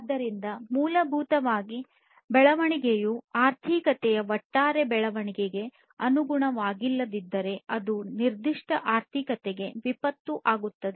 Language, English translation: Kannada, So, basically, if the growth is not conformant with the overall growth of the economy then that will become a disaster for that particular economy